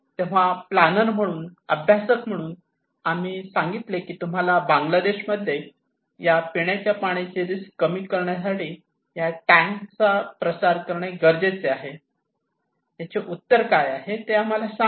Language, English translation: Marathi, So, as a planner, as a practitioner, we are saying that okay, you need to promote this tank to stop drinking water risk to reduce drinking water risk in Bangladesh, tell us what is the solution